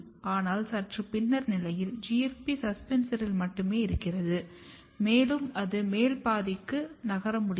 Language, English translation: Tamil, But slightly later stage, if you look, the GFP is only restricted in the suspensor and it is not able to move in the upper region